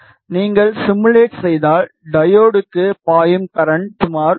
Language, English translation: Tamil, Then if you simulate you see that the current that is flowing into the diode is around 10